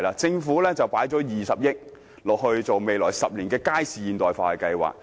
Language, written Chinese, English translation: Cantonese, 政府投放了20億元，在未來10年進行街市現代化計劃。, The Government has injected 2 billion for implementing a Market Modernisation Programme over the next 10 years